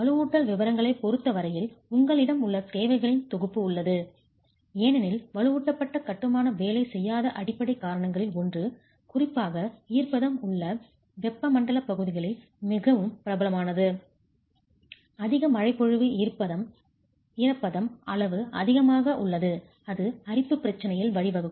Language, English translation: Tamil, There are a set of requirements that you have as far as reinforcement detailing is concerned because one of the fundamental reasons because of which reinforced masonry is not very popular, particularly in tropical regions where there is moisture, there is heavy rainfall, humidity levels are high, is the problem of corrosion